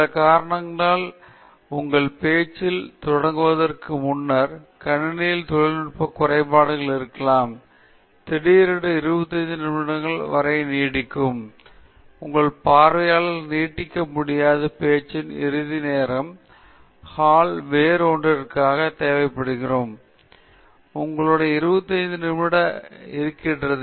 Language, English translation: Tamil, And then, for some reason, there is some other aspects, may be there are technical glitches in the system before you get started with your talk, and suddenly your down to 25 minutes, and it turns out that your audience is unable to extend the closing time of the talk, the hall is required for something else, so you have only 25 minutes